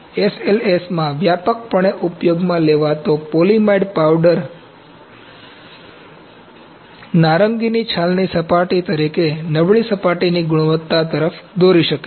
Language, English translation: Gujarati, The extensively used polyamide powder in SLS may lead to poor surface quality appearing as an orange peel surface